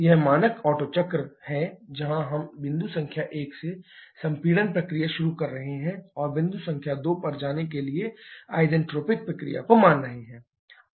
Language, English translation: Hindi, This is the standard Otto cycle diagram where we are starting the compression process from point number 1 and falling isentropic process going to point number 2